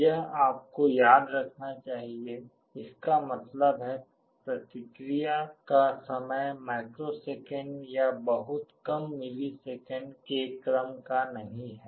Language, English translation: Hindi, This you should remember; that means, the response time is not of the order of microseconds or very lower milliseconds